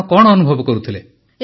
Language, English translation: Odia, How are you feeling